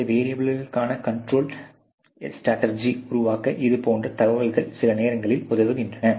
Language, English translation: Tamil, And such information is helping some times in developing a control strategy for these variables